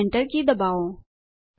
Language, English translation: Gujarati, And press the Enter key